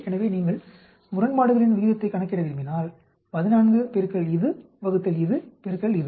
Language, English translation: Tamil, So, if you want to calculate odd ratio 14 into this divided by this into this, right